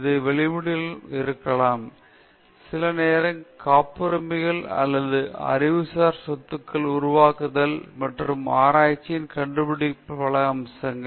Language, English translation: Tamil, This might come in terms of publications, sometimes in terms of patents or creation of intellectual property and many aspects of findings of research